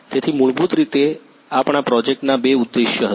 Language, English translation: Gujarati, So, basically our project had two objectives